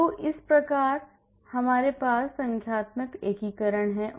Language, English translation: Hindi, So, similarly we also have numerical integration also